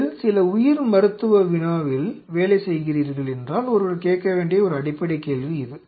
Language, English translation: Tamil, This is one fundamental question one has to ask, provided if you are working on some biomedical problem ok